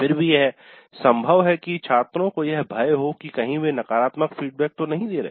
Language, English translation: Hindi, But still it is possible that there is certain fear on the part of the students that they should not be giving negative feedback